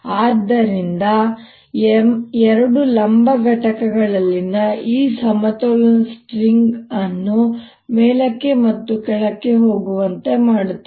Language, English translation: Kannada, so this, this balance in the in the two vertical components, make the string up and down